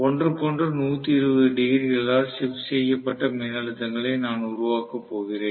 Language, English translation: Tamil, So, I am going to have essentially the voltages created which are shifted from each other by 120 degrees